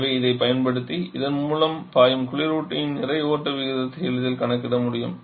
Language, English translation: Tamil, So, using this we can easily calculate the mass flow rate for the refrigerant that is flowing through this